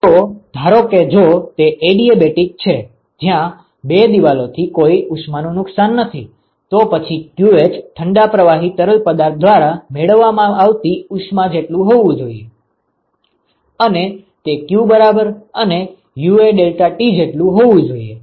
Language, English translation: Gujarati, So, if supposing if it is adiabatic where there is no heat loss from the two walls, then qh should be equal to the amount of heat that is gained by the cold fluid and that also should be equal to q equal to UA deltaT ok